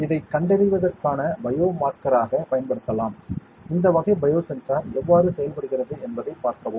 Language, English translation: Tamil, This can be used as biomarker for detection, there is how these sides are this type of bio sensor works